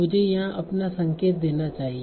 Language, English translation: Hindi, So let me give you a hint here